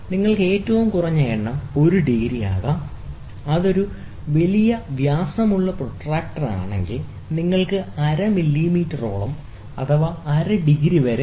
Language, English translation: Malayalam, You have the least count can be 1 degree, if it is a large diameter protractor, you can even have close to half millimeter half a degree